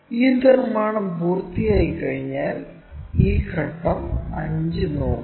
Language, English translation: Malayalam, Once these construction is done, look at this step 5